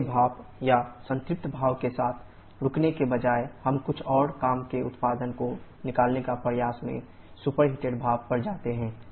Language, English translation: Hindi, Instead of stopping with the wet steam or saturated steam we go to the superheated steam, in an effort to extract some more work output